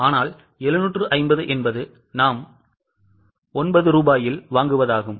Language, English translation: Tamil, But 750 refers is what we purchase at 9 rupees